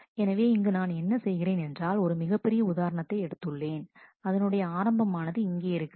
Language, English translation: Tamil, So, here what I have done is I have actually taken a little bigger example, where you can see that at the beginning here